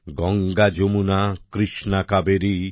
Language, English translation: Bengali, Ganga, Yamuna, Krishna, Kaveri,